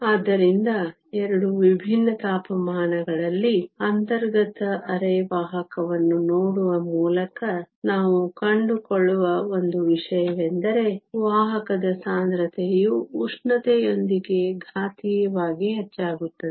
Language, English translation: Kannada, So, by looking at an intrinsic semiconductor at 2 different temperatures, one thing we find is that the carrier concentration increases exponentially with temperature